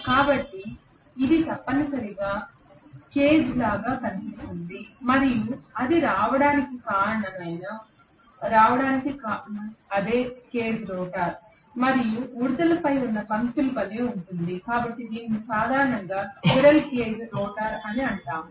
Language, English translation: Telugu, So this essentially looks like a cage and that is the reason why it has gone, why it has got the name cage rotor and it is like the lines on the squirrels back, so it is generally known as squirrel cage rotor yeah